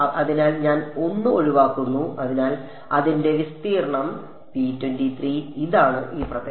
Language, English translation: Malayalam, So, I exclude 1 and therefore, is the area of P 2 3 so that means, this area